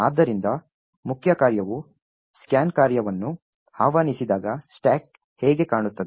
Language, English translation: Kannada, So, when the main function invokes the scan function this is how the stack is going to look like